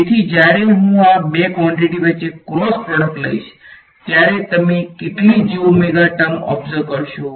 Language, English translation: Gujarati, So, when I take the cross product between these two quantities how many j omega t terms will you observe